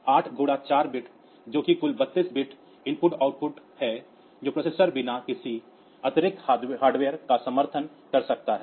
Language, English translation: Hindi, So, 8 bit into 4 that is total 3 2 bit IO that processor can support without any additional hardware